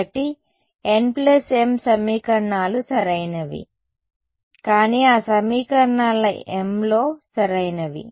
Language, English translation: Telugu, So, n plus m equations right, but in m of those equations right